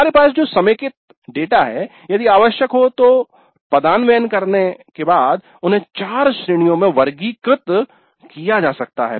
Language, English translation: Hindi, Then the consolidated data that we have can now after rewording if necessary can now be classified into four categories